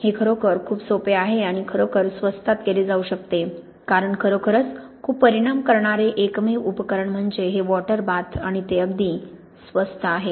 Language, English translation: Marathi, It is really very simple and can be done really cheaply because the only equipment that is really very consequence is this water bath and even that is quite cheap